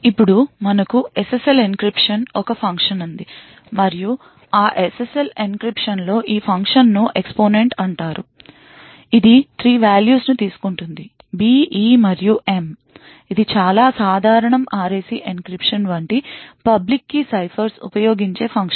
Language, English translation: Telugu, Now let us say we have SSL encryption and one function in that SSL encryption looks like this, this function is known as exponent, it takes 3 values b, e and m and this is a very common function used in public key ciphers such as the RAC encryption